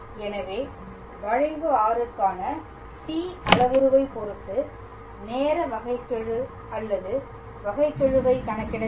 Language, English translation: Tamil, So, we just have to calculate the time derivative or the derivative with respect to the parameter t for the curve r